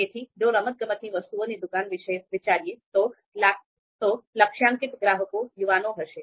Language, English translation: Gujarati, So if we think about the sports shop, so typically the targeted customer would be youth